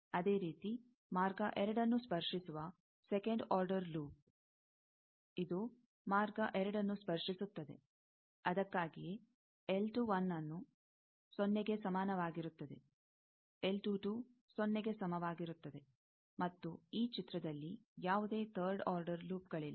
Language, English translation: Kannada, Similarly, the second order loop that touches path 2 also; this is path 2; it touches that; that is why, L 2 1 is equal to 0; L 2 2 is equal to 0; and, no third order loops in this figure